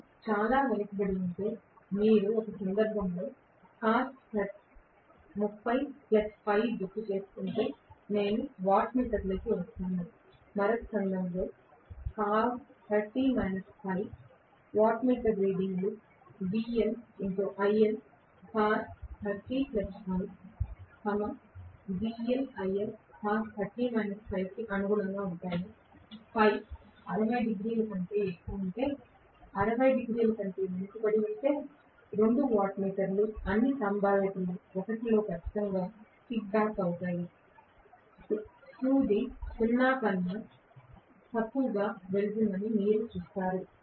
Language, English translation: Telugu, If it is extremely lagging I will have into wattmeter if you may recall cos of 30 plus Φ in one of the cases, cos of 30 minus Φ as the other case, wattmeter readings correspond to VL IL cos30 plus Φ, VL IL cos 30 minus Φ, if Φ is greater than 60 degrees lagging then in all probability 1 of the 2 wattmeter definitely will kickback, you would see that the needle goes below 0